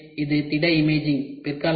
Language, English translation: Tamil, So, this is solid imaging